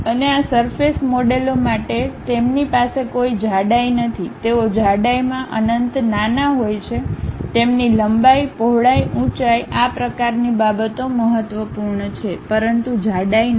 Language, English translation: Gujarati, For and these surface models they do not have any thickness, they are infinitesimally small in thickness, their length, breadth, this height, this kind of things matters, but not the thickness